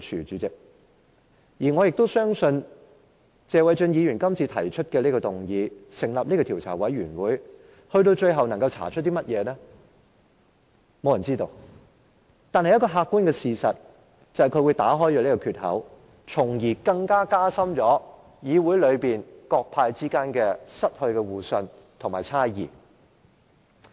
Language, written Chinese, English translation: Cantonese, 主席，對於謝偉俊議員今次提出的議案，繼而成立的調查委員會最後可以查出甚麼，我相信沒有人知道，但有一個客觀的事實，就是他會打開一個缺口，加深議會內各黨派間的猜疑，令大家失去互信。, President regarding the motion proposed by Mr Paul TSE today which will lead to the forming of an investigation committee I think no one knows what the investigation committee will find out . Yet the objective fact is that he will breach a gap that will intensify the suspicions among various political parties and groupings causing their trust to wither further